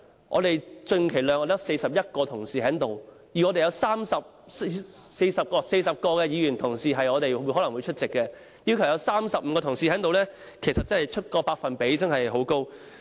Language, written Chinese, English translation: Cantonese, 我們極其量只有41名同事在席，有約40名議員同事可能會出席，若要求有35名同事在席，百分比真的相當高。, We can only have 41 Members present in the Chamber at the most . If 35 out of 40 Members are required to be present to form a quorum the percentage is really high